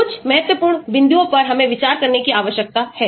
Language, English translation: Hindi, Some important points we need to consider